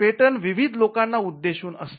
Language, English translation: Marathi, The patent is addressed to a variety of people